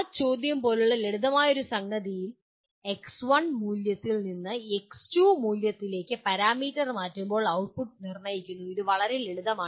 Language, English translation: Malayalam, In a simple case like that question is determine the output when the parameter changes from a value x1 to value x2 which is a very simple one